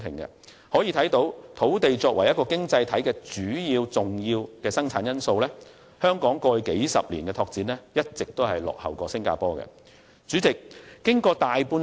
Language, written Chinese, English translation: Cantonese, 由此可見，雖然土地是一個經濟體的重要生產因素，但香港在過去數十年的拓展卻一直落後於新加坡。, This shows that although land is an important factor of production in an economy the expansion effort of Hong Kong has been lagging behind Singapore over the past few decades